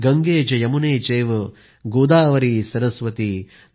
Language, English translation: Marathi, GangeCheYamuneChaive Godavari Saraswati